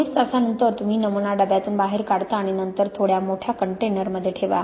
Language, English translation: Marathi, After twenty four hours you take the sample out of the container and then put in another container which is just a little bit bigger